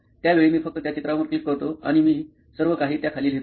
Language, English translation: Marathi, So for that time I just click those pictures and I also write everything down